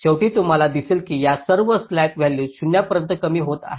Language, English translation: Marathi, at the end you will be finding that all this slack values have been reduce to zero